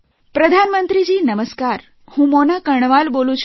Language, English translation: Gujarati, Prime Minister Namaskar, I am Mona Karnwal from Bijnore